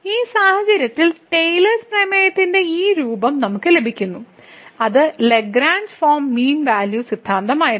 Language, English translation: Malayalam, And in this case we get this form of the Taylor’s theorem which was which was the Lagrange form mean value theorem